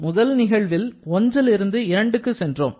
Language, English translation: Tamil, Then, in the first case we have moved from 1 to 2